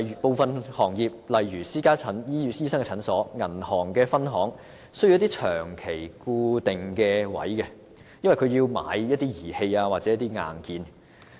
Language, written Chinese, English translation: Cantonese, 部分行業如私家診所、銀行分行需要一些長期固定鋪位，因為他們需要購買一些儀器或硬件。, Some trades and industries such as private clinics and bank branches require permanent and fixed shop premises because they need to purchase some equipment or hardware